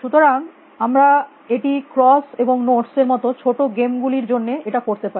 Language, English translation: Bengali, So, we can do that for things like, smaller games like cross and notes